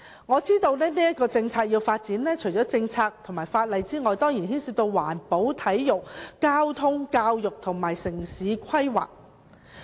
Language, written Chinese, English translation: Cantonese, 我知道要發展這項政策，除了政策和法例的問題外，當然亦涉及環保、體育、交通、教育及城市規劃。, I know that apart from policy and legal issues the development of such a policy will certainly involve environmental protection sports transport education and town planning